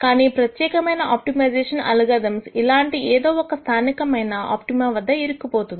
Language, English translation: Telugu, But a typical optimization algorithm would get stuck anywhere in any of these local optima